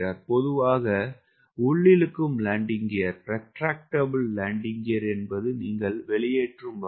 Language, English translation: Tamil, retractable landing gear is when you are putting the landing gear out